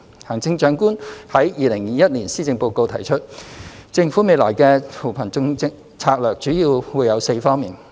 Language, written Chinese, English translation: Cantonese, 行政長官在2021年施政報告中提出，政府未來的扶貧策略主要會有4方面。, In the Chief Executives 2021 Policy Address the Chief Executive pointed out that the Governments poverty alleviation strategies will focus on four areas in future